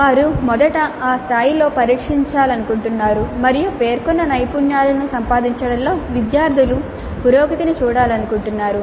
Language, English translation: Telugu, It could be that they would like to first test at that level and see what is the progress of the students in terms of acquiring competencies stated